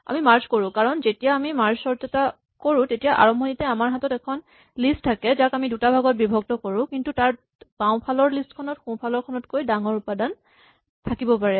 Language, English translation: Assamese, The reason we need to merge is that when we do a merge sort, we have the initial list and then we split it into two parts, but in general there may be items in the left which are bigger than items in the right